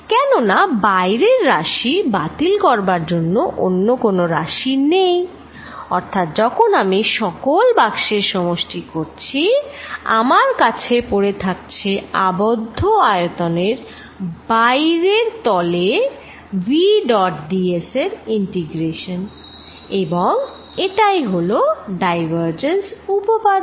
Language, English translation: Bengali, Why because there is no nothing to cancel on the outside surface, so when I add over all the boxes I am going to left with integration v dot d s over the outside surface of the close volume and that is what the divergent theorem is